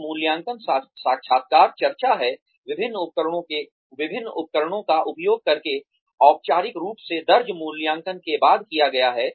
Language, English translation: Hindi, An appraisal interview is the discussion, after the formal recorded appraisal, by using various instruments, has been done